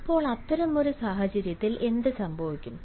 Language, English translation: Malayalam, now, in such a situation, what will happen